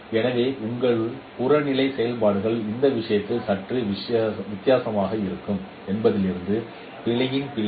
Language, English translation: Tamil, So the error of error form is your objective functions would be a bit different in this case